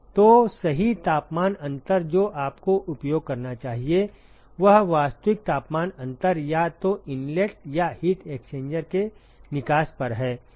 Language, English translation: Hindi, So, the correct temperature difference that you should use is the actual temperature difference either at the inlet or the exit of the heat exchanger